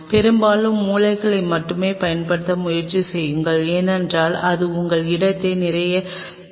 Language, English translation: Tamil, And try to use only mostly the corners, because that will be a let us say will lot of your space